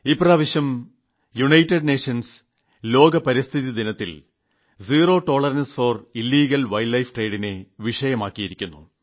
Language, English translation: Malayalam, This time on the occasion of World Environment Day, the United Nations has given the theme "Zero Tolerance for Illegal Wildlife Trade"